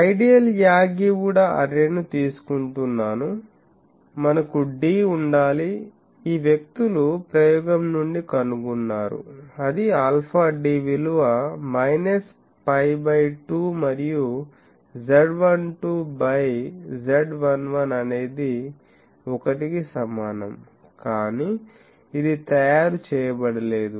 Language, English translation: Telugu, We should have d should be, this people have found from experiment alpha d is equal to minus pi by 2 and z 12 z 11 is equal to 1, but this is not made